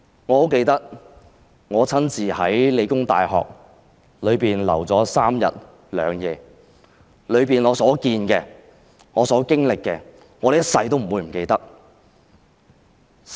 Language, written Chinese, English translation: Cantonese, 我很記得我親身在香港理工大學逗留的3日2夜，在裏面我所見到的和經歷的，我一生也不會忘記。, I remember clearly the three days and two nights in which I personally stayed in The Hong Kong Polytechnic University PolyU . I will never forget what I saw and experienced there for the rest of my life